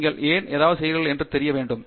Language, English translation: Tamil, You should know why you are doing something